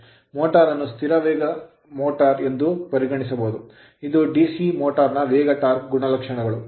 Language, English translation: Kannada, The motor can be considered as a constant speed motor, this is a speed torque characteristics of DC motor right